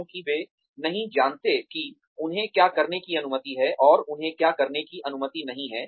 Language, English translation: Hindi, Because, they do not know, what they are allowed to do, and what they are not allowed to do